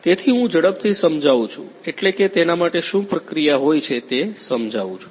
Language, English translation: Gujarati, So, I quickly explain, what I mean what is the process about